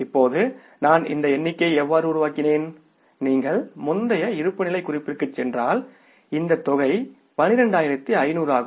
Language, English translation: Tamil, Now how I have worked out this figure because if you go to the previous balance sheet this amount is 12,500